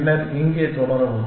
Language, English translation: Tamil, And then, continue here